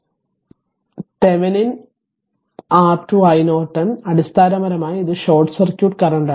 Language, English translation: Malayalam, That Thevenin R Thevenin your i Norton is equal to basically it is short circuit current